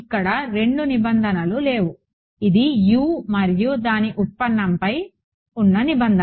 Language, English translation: Telugu, So, I mean there are not two requirements this is requirement on U and its derivative